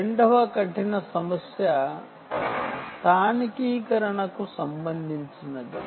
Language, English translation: Telugu, the second hard problem is related to localization